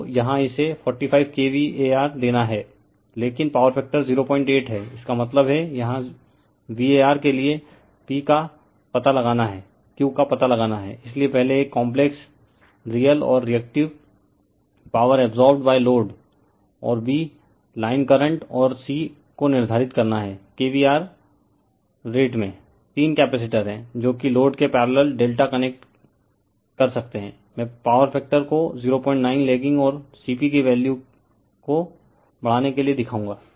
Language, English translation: Hindi, 8 ; that means, here you have to find out P and for the V A r you have to find out the Q right , and therefore, you have to determine , first one , the complex, real and reactive power absorbed by the load , and b) the line currents and c) the kVAr rate you have the your what you call three capacitors, which are , can delta connect in parallel with load right that, I will show you to raise the power factor to 0